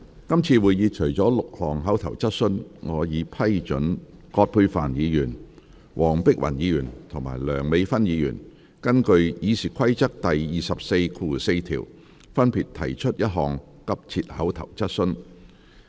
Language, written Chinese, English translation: Cantonese, 今次會議除了6項口頭質詢，我已批准葛珮帆議員、黃碧雲議員及梁美芬議員根據《議事規則》第244條，分別提出一項急切口頭質詢。, Apart from six oral questions for this meeting with my permission three urgent oral questions will be asked by Dr Elizabeth QUAT Dr Helena WONG and Dr Priscilla LEUNG respectively under Rule 244 of the Rules of Procedure